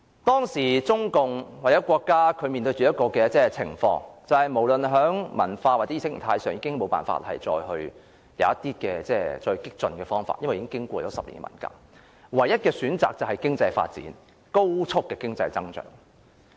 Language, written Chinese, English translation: Cantonese, 當時中共或國家無論在文化或意識形態上，已無法再有更激進的方法，因為已經過10年文革，唯一的選擇便是高速的經濟發展。, Having gone through this 10 - year revolution the Communist Party or the State could not find any other cultural or ideological means that was more revolutionary except the expressway of economic development